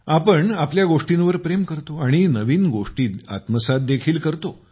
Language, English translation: Marathi, We love our things and also imbibe new things